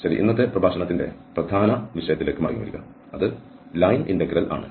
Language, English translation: Malayalam, Okay, coming back to the main topic of todays lecture, that is the line integral